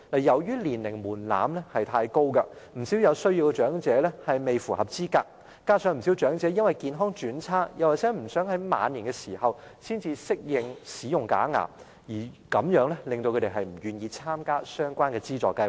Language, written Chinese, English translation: Cantonese, 由於年齡門檻太高，不少有需要長者未符合資格，加上不少長者因為健康轉差，又或不想在晚年才適應使用假牙，令他們不願意參加相關的資助計劃。, As the age threshold is too high many elderly persons who are in need are not eligible under the programme while many others are not willing to participate in the assistance programme due to failing health or a reluctance to spend their twilight years adapting to the use of a removable denture